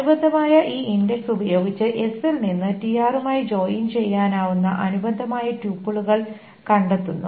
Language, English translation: Malayalam, The corresponding, using this index, the corresponding tuples are found out from S that can join with TR